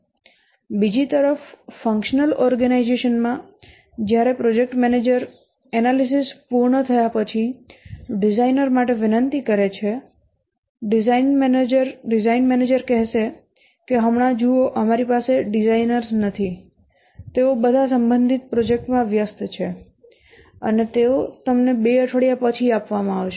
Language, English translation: Gujarati, On the other hand in a functional organization, when the project manager requests for a designer after the analysis have completed the design manager might say that see right now we don't have designers they're all busy in respective projects and they will be given to you after two weeks so that problem does not occur in the project organization